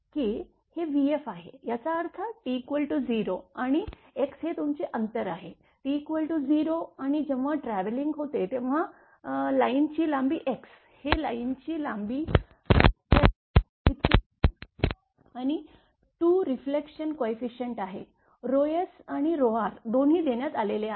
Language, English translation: Marathi, That this is v f this is; that means, what this is at T is equal to 0 and this is at x is your distance is x, it is T is equal to 0 x is equal to 0 and when it is traveling that line length is x is equal to l and the 2 reflection coefficient your rho s and rho r both have been, both have been given